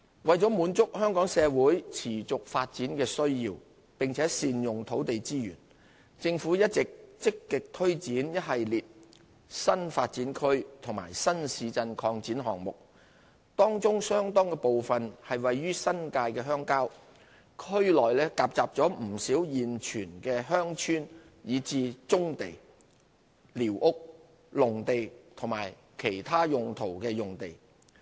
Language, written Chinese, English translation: Cantonese, 為滿足香港社會持續發展的需要並善用土地資源，政府一直積極推展一系列新發展區和新市鎮擴展項目，當中相當部分位於新界鄉郊，區內夾雜不少現存鄉村以至棕地、寮屋、農地及其他用途用地。, To cater for Hong Kong societys ongoing development needs and optimize the utilization of land resources the Government has been proactive in implementing a series of new development areas and new town extension projects . Among these projects quite a number are located in the rural New Territories in which existing villages brownfield sites squatter areas agricultural land and land of other uses are scattered